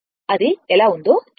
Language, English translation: Telugu, Just see that how it is